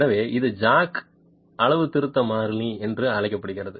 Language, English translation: Tamil, So, this is called the jack calibration constant